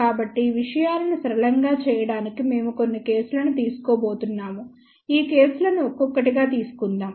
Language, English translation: Telugu, So, to make things simple we are going to take a few cases so, let us take these cases one by one